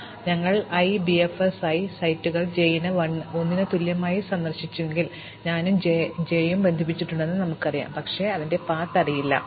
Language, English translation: Malayalam, So, if we start at i and BFS i sets visited j equal to 1, we know that i and j are connected, but we do not know the path